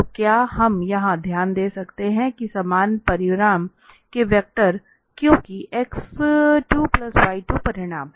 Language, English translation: Hindi, So what we can note down here that the vectors of equal magnitude because the magnitude is x square plus y square